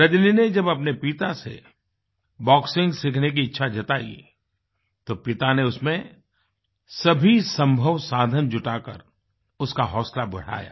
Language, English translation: Hindi, When Rajani approached her father, expressing her wish to learn boxing, he encouraged her, arranging for whatever possible resources that he could